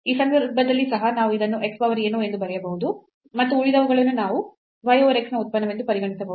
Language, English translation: Kannada, In this case also we can write down this as x power something and the rest we can consider as the function of y over x